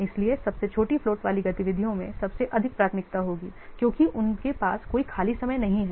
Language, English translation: Hindi, So, the activities with the smallest float will have the highest priority because they don't have any free time